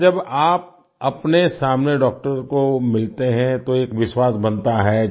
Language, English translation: Hindi, Well, when you see the doctor in person, in front of you, a trust is formed